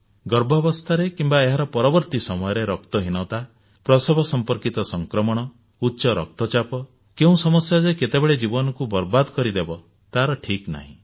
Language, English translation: Odia, Anemia during or after pregnancy, pregnancy related infections, high BP, any such complication can have devastating effect